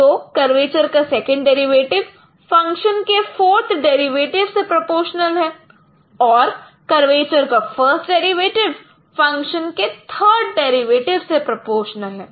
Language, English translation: Hindi, So, second derivative of curvature is proportional to the fourth derivative of function and first derivative of curvature is proportional to the third derivative of function